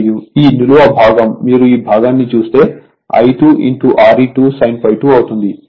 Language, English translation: Telugu, And this portion, vertically if you see that this portion I 2 R e 2 sin phi 2 right